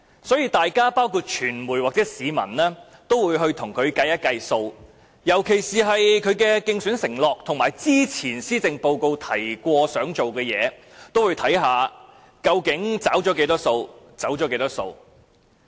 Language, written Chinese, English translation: Cantonese, 所以，議員、傳媒及市民都會計算一下，尤其是他的競選承諾及他在之前數份施政報告提出的措施，究竟有多少已"走數"，又有多少已"找數"。, Therefore fellow Members the media and members of the public would try to check the list of commitments in his election manifesto as well as the list of measures proposed in the previous Policy Addresses he delivered so as to find out what empty promises he has made and what proposed measures he has put into practice